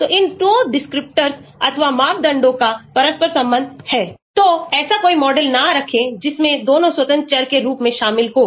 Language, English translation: Hindi, so these 2 descriptors or parameters are interrelated, so do not have a model which includes both as independent variable